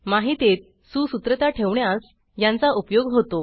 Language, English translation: Marathi, It can serve to keep information organized